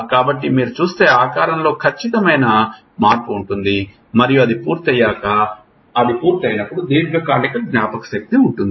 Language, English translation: Telugu, So, there is a definite change in the shape if you see it and once it is done it is done there is a long term memory